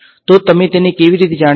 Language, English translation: Gujarati, So, how will you know it